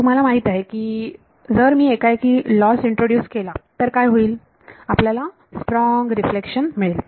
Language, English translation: Marathi, You know that if I introduce if you introduce a loss abruptly what will happen you will get a strong reflection